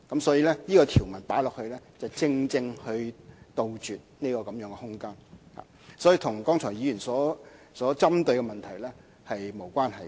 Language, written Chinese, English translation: Cantonese, 所以，加入這項條文，正正可以杜絕這空間，便與議員剛才所針對的問題沒有關係。, Therefore with the addition of the new clause the above loophole can be plugged and it actually has nothing to do with the issues raised by Members just now